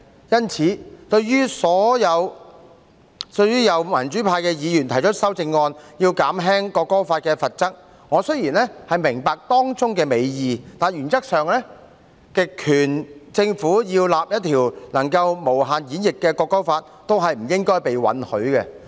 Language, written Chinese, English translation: Cantonese, 因此，對於有民主派的議員提出修正案，以減輕《條例草案》的罰則，我雖然明白當中的美意，但原則上，極權政府要訂立一項能夠無限演繹的《條例草案》，都不應該被允許。, For this reason regarding amendments proposed by pro - democracy Members to mitigate the penalties under the Bill I would like to say that while I understand their good intention the enactment by an authoritarian government of a bill that can be arbitrarily interpreted should not be allowed in principle